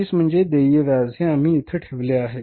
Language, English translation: Marathi, That is 112 is the interest payable